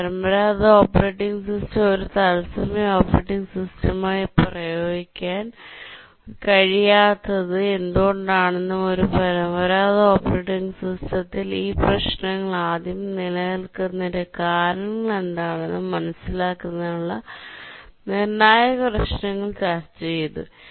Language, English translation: Malayalam, We will just look at these two issues because these are crucial issues to understand why a traditional operating system cannot be used as a real time operating system and also why these problems are there with a traditional operating system in the first place